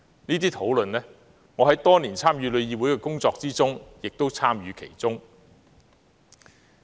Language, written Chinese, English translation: Cantonese, 這些討論，我在多年參與旅議會的工作期間也有參與其中。, I have participated in these discussions in my work at TIC for many years